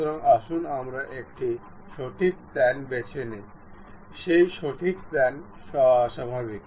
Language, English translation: Bengali, So, let us pick a right plane, normal to that right plane